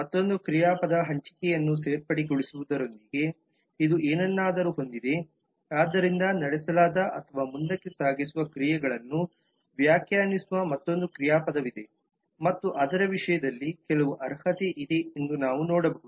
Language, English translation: Kannada, it has something to do with the joining in other verbs allocation is prorated so there is another verb that defines actions carried over or carry forward is another verb and we can see that there is some qualification in terms of that